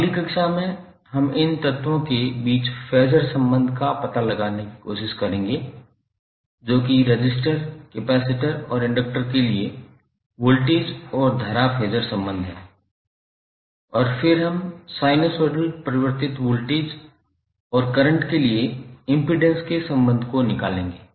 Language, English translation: Hindi, So in next class we will try to find out the phasor relationship between these elements, that is the voltage and current phasor relationship for resistor, capacitor and inductor and then we will stabilize the relationship of impedance for the sinusoidal varying voltage and current